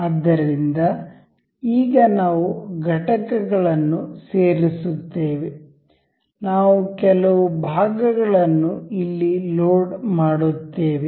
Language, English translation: Kannada, So, now, we go to insert components, we will load some of the parts over here